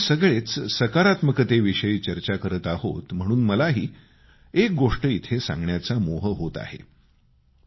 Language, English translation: Marathi, When we all talk of positivity, I also feel like sharing one experience